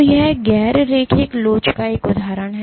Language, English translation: Hindi, So, this is an example of non linear elasticity